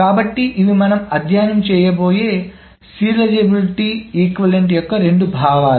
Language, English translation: Telugu, So, these are the two notions of equivalence of serializability that we will study